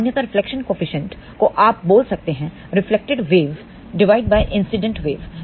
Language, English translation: Hindi, Generally, speaking reflection coefficient is defined by you can say reflected wave divided by incident wave